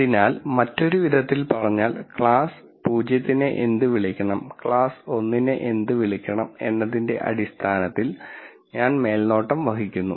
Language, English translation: Malayalam, So, in other words I am being supervised in terms of what I should call as class 0 and what I should call as class 1